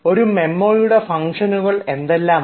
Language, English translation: Malayalam, what are the functions of a memo